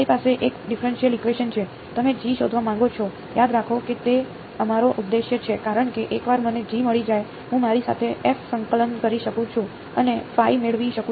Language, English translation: Gujarati, You have a differential equation, you want to find G remember that is our objective because once I find G, I can convolve with f and get my phi